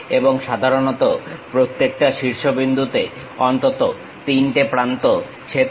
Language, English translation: Bengali, And, usually minimum of 3 edges must intersect at each vertex